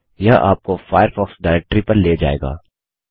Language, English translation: Hindi, This will take you to the Firefox directory